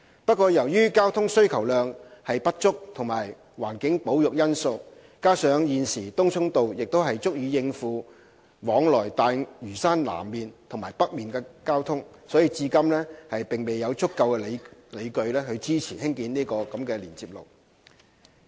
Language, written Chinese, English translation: Cantonese, 不過，由於交通需求量不足及環境保育因素，加上現時東涌道亦足以應付往來大嶼山南面和北面的交通，至今未有足夠理據支持興建該連接路。, However in view of insufficient traffic demand as well as environmental and conservation concerns and the fact that Tung Chung Road can cope with the traffic between the south and north of Lantau we do not consider there is sufficient justification to support the construction of such road at this moment